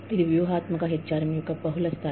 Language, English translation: Telugu, This is, the multilevel of strategic HRM